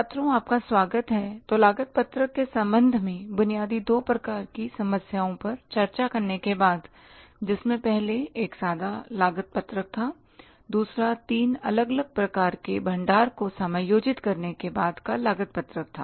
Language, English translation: Hindi, So, after discussing the basic two types of the problems with regard to the cost sheet, first one was the plain cost sheet, second one was the cost sheet after adjusting the three different types of the stocks